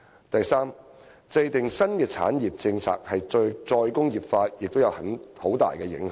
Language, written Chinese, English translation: Cantonese, 第三，制訂新的產業政策對"再工業化"亦有很大影響。, Thirdly the formulation of new industry policies also has a great bearing on re - industrialization